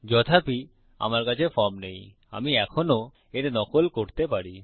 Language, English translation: Bengali, Even though I dont have a form , I can still mimic this